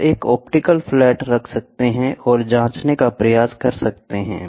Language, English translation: Hindi, You can put an optical flat and try to check